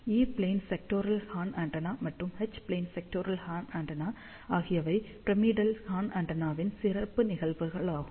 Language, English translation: Tamil, As E plane sectoral horn antenna as well as H plane sectoral horn antennas are special cases of pyramidal horn antenna